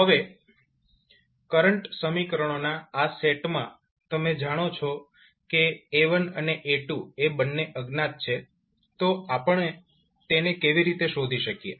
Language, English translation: Gujarati, So, now in this particular set of current equations you know that the A1 and A2 are the 2 things which are unknown, so how we can find